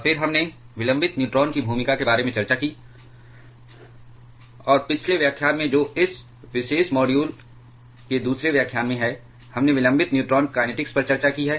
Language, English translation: Hindi, And then we discussed about the role of delayed neutrons, and in the last lecture that is in the second lecture of this particular module we have discussed the delayed neutron kinetics